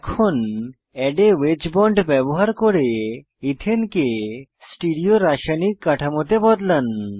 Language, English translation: Bengali, Let us use Add a wedge bond to convert Ethane to a Stereochemical structure